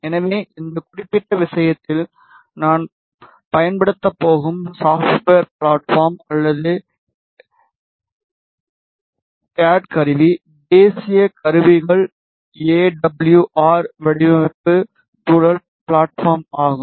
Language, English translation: Tamil, So, the software platform or the cad tool that we are going to use in this particular is national instruments AWR, design environment platform